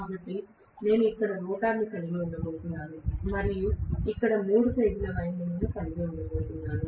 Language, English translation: Telugu, So, if I am going to have the rotor here and I have the three phase windings sitting here